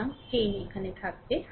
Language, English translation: Bengali, So, 10 ohm will be here right